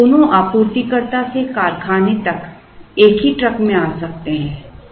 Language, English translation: Hindi, Now, both these can come in the same truck from the supplier, to the factory